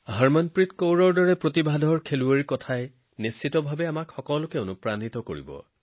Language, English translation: Assamese, The words of a talented player like Harmanpreet ji will definitely inspire you all